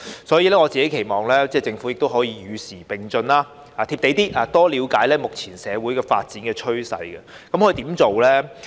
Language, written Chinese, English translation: Cantonese, 所以，我期望政府能與時並進，"貼地"一點，多了解目前社會發展趨勢。, It is therefore my hope that the Government will keep abreast of the times try to be keep its feet on the ground and strive to have a better understanding of this current trend of social development